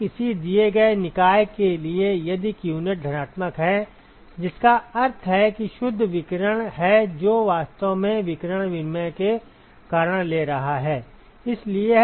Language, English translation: Hindi, So, for a given body if qnet is positive right which means that there is a net radiation that it is actually taking because of radiation exchange